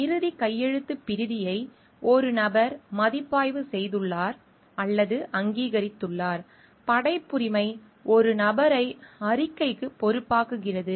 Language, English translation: Tamil, The person has reviewed or approved the final manuscript; authorship makes a person accountable for the report